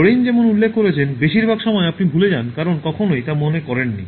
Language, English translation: Bengali, So as Lorayne points out, most of the times you forget because you never remembered